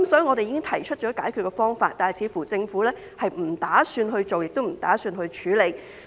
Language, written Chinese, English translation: Cantonese, 我們已經提出解決方法，但政府似乎並不打算去做，亦不打算處理。, We have proposed solutions to the problem but it seems that the Government has no intention to do something or deal with the problem